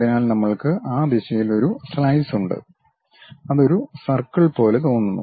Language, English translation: Malayalam, So, we are having a slice in that direction, it looks like circle